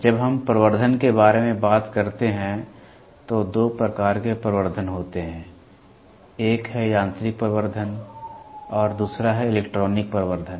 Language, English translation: Hindi, When we talk about amplification, there are two types of amplification, one is mechanical amplification and the other one is electronic amplification